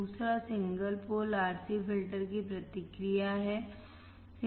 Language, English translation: Hindi, Second is response of single pole RC filter